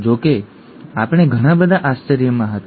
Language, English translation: Gujarati, However we were in for a lot of surprises